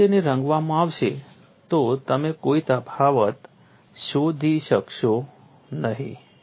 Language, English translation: Gujarati, If it is painted you will not be able to find out any difference